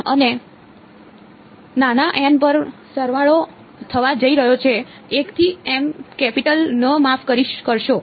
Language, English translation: Gujarati, And there is going to be a summation over small n is equal to 1 to m capital N sorry